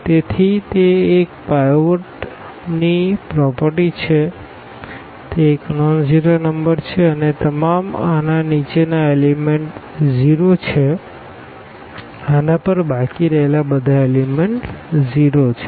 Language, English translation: Gujarati, So, that is that the that is the property of the pivot it is a nonzero number and all the elements below these are 0 all the elements left to this are 0